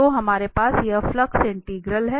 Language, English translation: Hindi, So, we have this flux integral